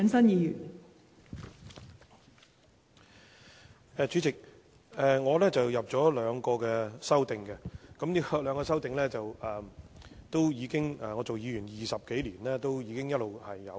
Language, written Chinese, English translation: Cantonese, 代理主席，我提出了兩項修正案，而這兩項修正案的要求是我擔任議員20多年來一直都有提出的。, Deputy Chairman I have proposed two amendments . The requests in these two amendments have all along been put forward by me during my 20 - odd years of service as a Member